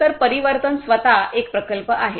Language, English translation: Marathi, So, the transformation itself is a project